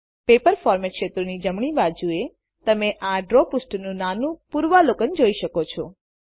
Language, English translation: Gujarati, To the right of the Paper format fields, you will see a tiny preview of the Draw page